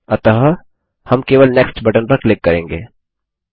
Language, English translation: Hindi, So we will simply click on the Next button